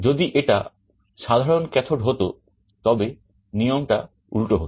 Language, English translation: Bengali, If it is common cathode just the convention will be reversed